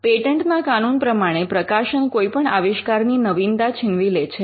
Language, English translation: Gujarati, In patent law the publication kills the novelty of an invention